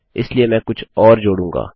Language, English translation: Hindi, So I will just add something more